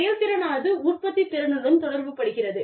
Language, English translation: Tamil, Efficiency relates to the productivity